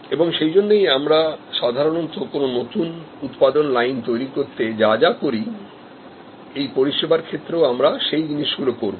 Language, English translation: Bengali, And therefore, all the things that we normally do in creating a new production line, will need to be done in such a service